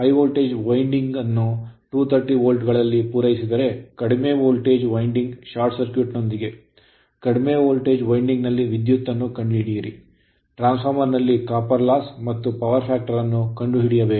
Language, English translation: Kannada, If the high voltage winding is supplied at 230 volt with low voltage winding short circuited right, find the current in the low voltage winding, copper loss in the transformer and power factor